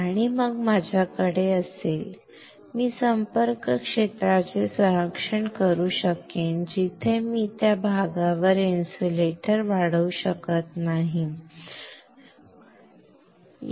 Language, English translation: Marathi, And then I will have, I can protect the contact area somewhere I cannot grow insulator on that area so that is fine